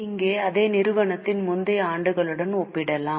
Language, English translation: Tamil, Okay, here also we can compare with earlier years of the same company as well